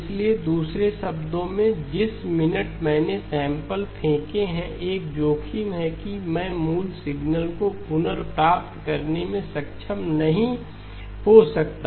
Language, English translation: Hindi, So in other words the minute I have thrown away samples, there is a risk that I may not be able to recover the original signal